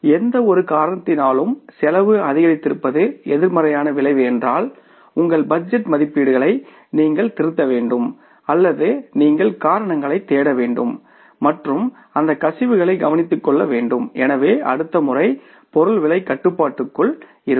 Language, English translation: Tamil, And if it is a negative effect that because of any reason the cost has increased we will have to look for the reasons either you have to revise the budget estimates or you have to look for the reasons and take care of those, plug the leakages so then next time the cost of material is within the control